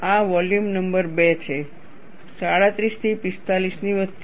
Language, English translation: Gujarati, This is volume number 2, between 37 to 45